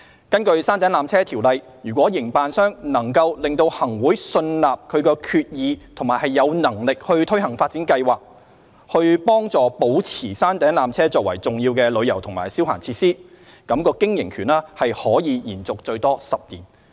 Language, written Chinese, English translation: Cantonese, 根據《條例》，如營辦商能令行會信納其決意並有能力推行發展計劃，以助保持山頂纜車作為重要的旅遊及消閒設施，則經營權可延續最多10年。, Under PTO if the operator can satisfy the Chief Executive in Council that it is committed to and is capable of implementing an upgrading plan conducive to maintaining the peak tramway as an important tourism and recreational facility its operating right can be extended by a maximum of 10 years